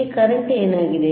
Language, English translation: Kannada, What is the current